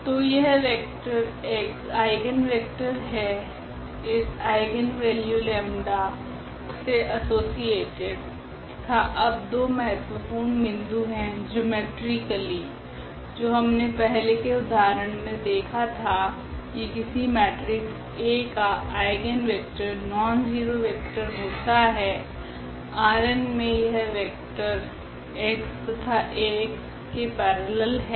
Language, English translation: Hindi, So, now the vector x is the eigenvector associated with this eigenvalue lambda and the two important points now, the geometrically which we have already seen with the help of earlier example that an eigenvector of a matrix A is a nonzero vector, x in this R n such that the vectors here x and this Ax are parallel